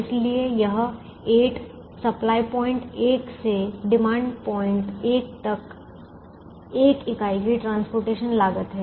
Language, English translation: Hindi, so this eight is the cost of transporting a unit from supply point one to demand point one